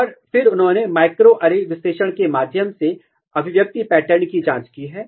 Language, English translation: Hindi, And then they have checked the expression pattern, through microarray analysis